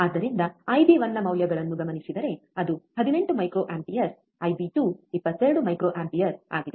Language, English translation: Kannada, So, given the values of I b 1, which is 18 microampere, I bIb 2 is 22 microampere